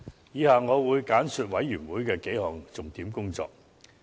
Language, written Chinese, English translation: Cantonese, 以下我會簡述事務委員會的數項重點工作。, I will highlight several major items of work of the Panel